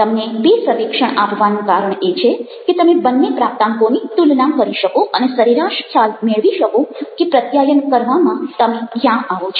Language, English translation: Gujarati, the reason for giving you two survey is so that you can compare this course and get to average idea of where you stand as a communicator